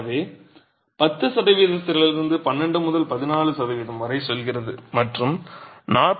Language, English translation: Tamil, So from 10% it goes up to 12 to 14% and 49, 44